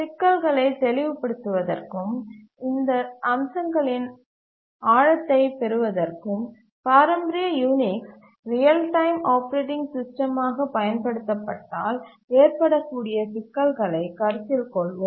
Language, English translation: Tamil, To make the issues clear and to get a deeper insight into these aspects, we will consider what problems may occur if the traditional Unix is used as a real time operating system